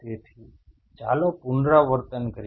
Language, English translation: Gujarati, So, let us repeat